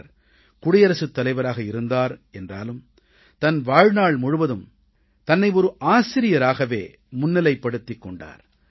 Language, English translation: Tamil, He was the President, but all through his life, he saw himself as a teacher